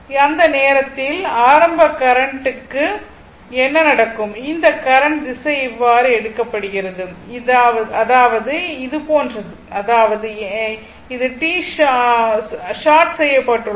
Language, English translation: Tamil, So, at that time what will happen your initial current this current direction is taken like this; that means, it is like this; that means, it is like this because it is short